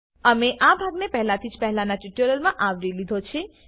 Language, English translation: Gujarati, We have already covered this part in the earlier tutorial